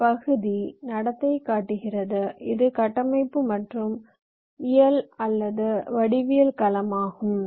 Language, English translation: Tamil, this is structural and this is physical or geometric domain